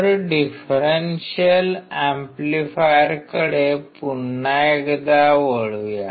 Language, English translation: Marathi, So, coming back to differential amplifier